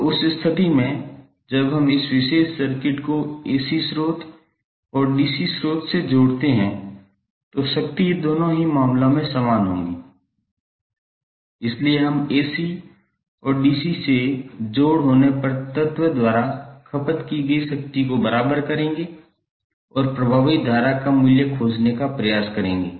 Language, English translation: Hindi, So in that case when we connect this particular circuit to AC source and DC source the power should be equal in both of the cases, so we will equate the power consumed by the element when it is connected to AC and VC and try to find out what should be the value of effective current